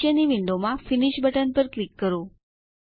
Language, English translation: Gujarati, Click on the Finish button in the following window